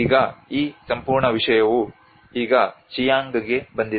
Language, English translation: Kannada, So now this whole thing has been now into the Chiang